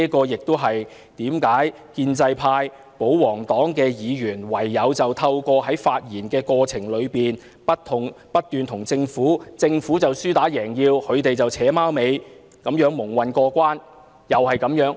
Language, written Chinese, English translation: Cantonese, 因此，建制派、保皇黨議員只好不斷為政府說項，不斷和政府"扯貓尾"，而政府就"輸打贏要"，就這樣蒙混過關。, As a result pro - establishment camp and royalists Members have incessantly been saying good words for the Government and putting on a collaborating show with the Government while the Government acts like a sore loser